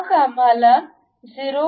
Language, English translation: Marathi, Then, we require 0